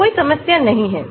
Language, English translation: Hindi, so there is no problem at all